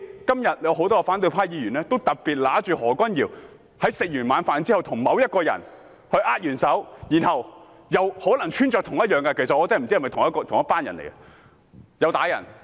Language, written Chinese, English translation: Cantonese, 今天有很多反對派議員指出，何君堯議員在晚膳後與某人握手，而該人的衣着可能與毆打市民的人士一樣。, Today many Members of the opposition camp noted that Dr Junius HO shook hands after dinner with a person dressed like the attackers who assaulted civilians